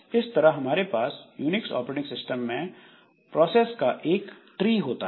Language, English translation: Hindi, So, this is a typical tree that we have for processes in Unix operating system